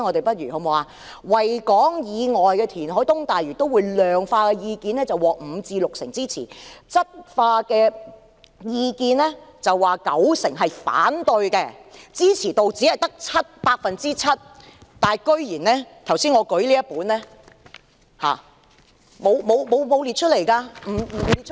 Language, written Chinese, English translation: Cantonese, 對於在維港以外填海及東大嶼都會的量化意見，是五成至六成支持，質化意見是九成反對，支持度只有 7%， 但我剛才舉起的這份意見書卻竟然沒有列出來。, With regard to the quantitative opinions on reclamation outside the Victoria Harbour and developing the East Lantau Metropolis 50 % to 60 % of the respondents support such options . In terms of qualitative opinions however 90 % of the respondents are opposed to these options resulting in a support rating of 7 % only . Yet these are not set out in the submissions that I have put up just now